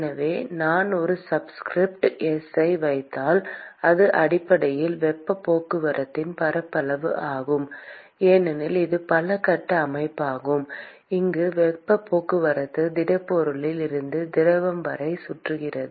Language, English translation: Tamil, So, if I put a subscript s, it is basically the surface area of heat transport because it is multi phase system where the heat transport is from the solid to the fluid which is circulating around